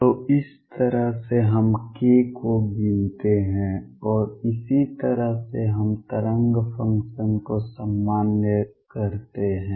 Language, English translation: Hindi, So, this is how we count k, and this is how we normalize the wave function